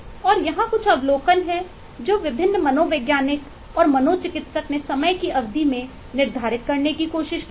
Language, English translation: Hindi, and here some of the observations that eh eh, different psychologist and physiatrist have eh tried to quantify over a period of time